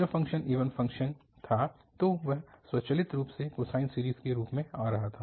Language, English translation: Hindi, When the function was even function, it was automatically coming as cosine series